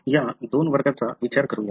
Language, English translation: Marathi, Let us look into these two classes